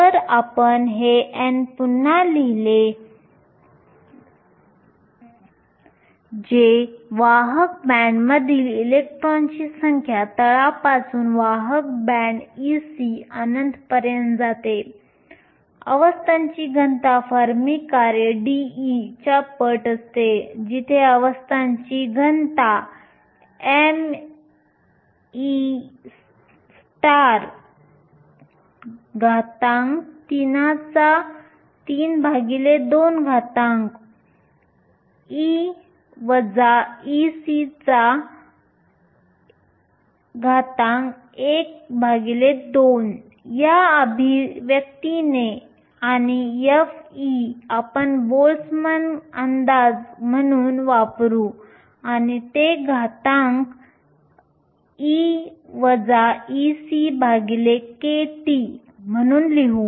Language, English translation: Marathi, If you rewrite this n, which is the number of electrons in the conduction band goes from the base the conduction band e c up to infinity, the density of states times the fermi function dE, where the density of states is given by this expression m e star whole power 3 over 2 e minus e c whole power half and f of e you will use the Boltzmann approximation and write it as exponential e minus e f over kT